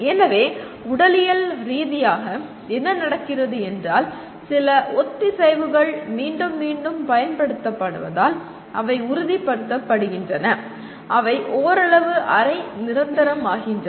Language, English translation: Tamil, So physiologically what happens is, certain synapses because of repeated use they get stabilized, they become somewhat semi permanent